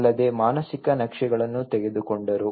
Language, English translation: Kannada, Also, taken the mental maps